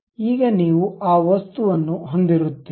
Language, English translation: Kannada, Now, you have that object